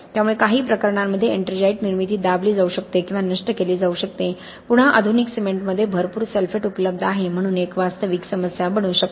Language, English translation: Marathi, So ettringite formation can be suppressed or destroyed in certain cases, again in modern cements there is a lot of sulphate available so this can become a real problem